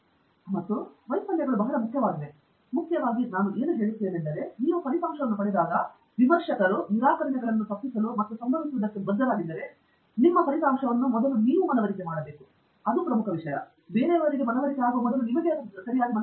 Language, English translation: Kannada, Again, failures are very important, but most importantly what I would say is when you get a result, to avoid may be rejections by reviewers and so on which are bound to happen, I think you should be convinced of your result first, that’s a most important thing